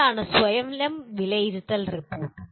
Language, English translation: Malayalam, And what is Self Assessment Report